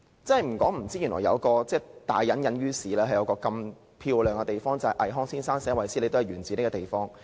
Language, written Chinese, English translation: Cantonese, 不說不知，原來大隱隱於市，香港有一個這麼漂亮的地方，連倪匡先生的作品"衛斯理"也是源自這個地方。, There is such a beautiful gem hidden in the city . The place even gave NI Kuang the inspiration to write the series of novel titled The Great Adventurer Wesley